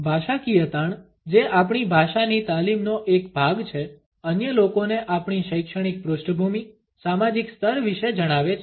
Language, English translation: Gujarati, The linguistic stress, which is a part of our language training, tells the other people about our educational background, the social class